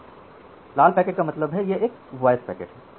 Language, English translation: Hindi, So, red packet means say that this is a voice packet